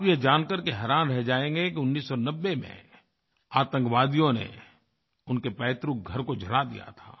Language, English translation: Hindi, You will be surprised to know that terrorists had set his ancestral home on fire in 1990